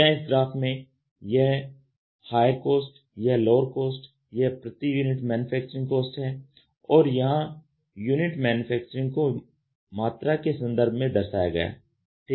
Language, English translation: Hindi, So, this shows the higher cost, lower cost, the cost per unit manufacturing and here it says unit manufacturing in terms of volume ok